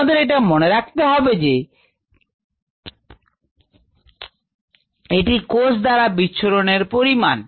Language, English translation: Bengali, but it is actually a measure of a cell scatter